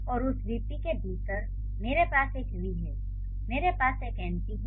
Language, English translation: Hindi, And within that vp I have a v and I have an np